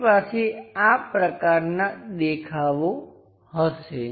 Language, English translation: Gujarati, We will have such kind of view